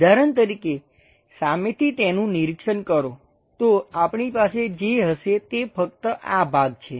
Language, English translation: Gujarati, For example, if it is straight away visualizing it, what we will be having is only this part